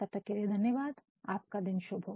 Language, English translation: Hindi, Till then, thank you very much, have a nice day